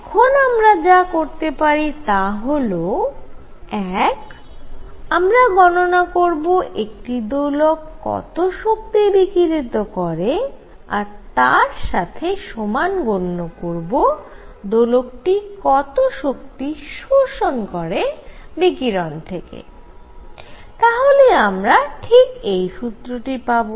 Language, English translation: Bengali, But the weight is derived as a two ways one is to find the energy radiated by each oscillator and equate it to the energy absorbed by it from the radiation, you do that and you get precisely this formula